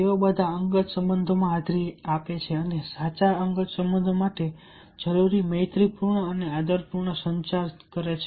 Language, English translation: Gujarati, they all attend to personal relationships and carry out the friendly and respectful communication necessary for truly personal relationships